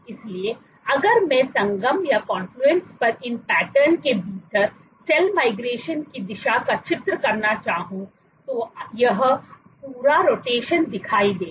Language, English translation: Hindi, So, if I were to draw at the directions of cell migration within these patterns at confluence you would see this complete rotation